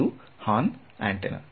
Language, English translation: Kannada, It is a horn antenna right